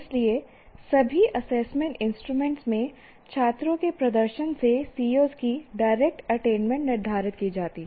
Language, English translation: Hindi, So, direct attainment of COs is determined from the performance of the performance of the students in all the assessment instruments